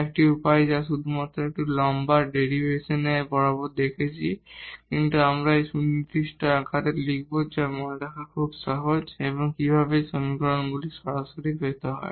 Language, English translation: Bengali, One way which we have just seen bit along bit long derivation, but now we will here write down in a more precise form which is very easy to remember and how to get these equations directly